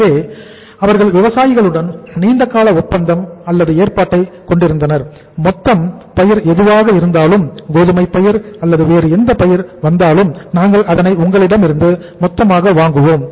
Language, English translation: Tamil, So they had the long term agreement or arrangement with the farmers and they have the arrangements like that whatever the total crop maybe the wheat crop or maybe the any other crop it comes up we will buy it in total from you and partly you will store the inventory and partly we will store the inventory